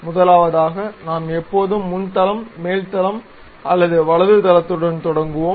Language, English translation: Tamil, The first one is we always begin either with front plane, top plane or right plane